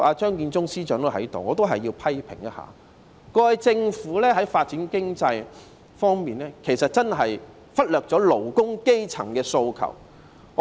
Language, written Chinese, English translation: Cantonese, 張建宗司長也在席，我要批評一下，過去政府在發展經濟方面真的忽略了基層勞工的訴求。, Chief Secretary Matthew CHEUNG is in the Chamber and I have to make some criticisms . The Government has really ignored the aspirations of grass - roots workers in the development of the economy